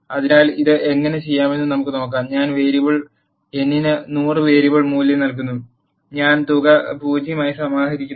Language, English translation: Malayalam, So, let us see how to do this I am assigning a variable value of 100 to the variable n and I am initializing the sum as 0